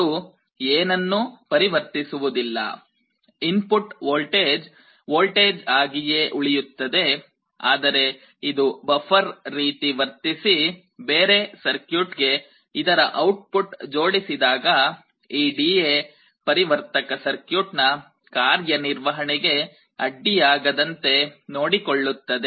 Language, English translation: Kannada, It does not convert anything to anything, input is voltage it remains a voltage, but it actually acts like a buffer, so that when the output is connecting to some other circuit that circuit should not disturb the operation of this D/A converter circuit